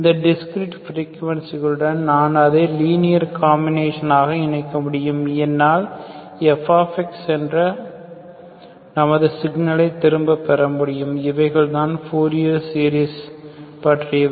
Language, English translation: Tamil, I can combine is the discrete sum, with these discrete frequencies I can combine them as a linear combination, I can get back my signal fx, this is what is fourier series is all about